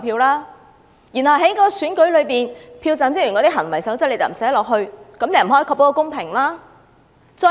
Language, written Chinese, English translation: Cantonese, 當局也沒有把票站職員的行為守則納入《條例草案》，不能確保公平。, Furthermore the authorities have not included the codes of conduct of polling station staff in the Bill and hence fairness cannot be ensured